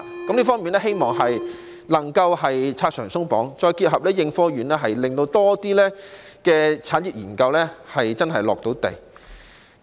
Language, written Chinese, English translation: Cantonese, 在這方面，希望能夠"拆牆鬆綁"，再配合應科院，令更多產業研究能夠落地。, In this regard it is hoped that the barriers and restrictions can be removed such that with the concerted efforts of ASTRI more industrial research can be put into practice